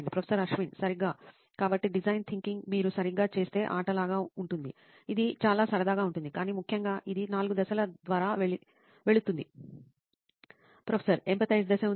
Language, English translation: Telugu, Exactly, so design thinking if you do it right can be like a game, it can be a lot of fun, but essentially, it goes through 4 phases